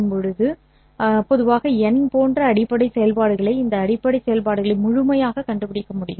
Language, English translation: Tamil, We should normally be able to find n such basis functions